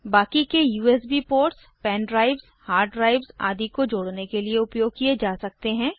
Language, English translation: Hindi, The remaining USB ports can be used for connecting pen drive, hard disk etc